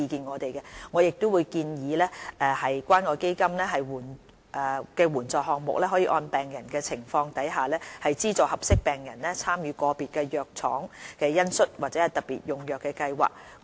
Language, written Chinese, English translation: Cantonese, 我們會建議關愛基金援助項目可按個別病人的情況，資助合適病人參與個別藥廠的恩恤或特別用藥計劃。, We propose that the assistance programme under the Community Care Fund should provide these patients according to their individual situations with subsidies to participate in compassionate programmes of individual pharmaceutical companies or special drugs treatments